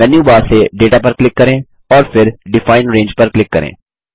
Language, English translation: Hindi, From the Menu bar, click Data and then click on Define Range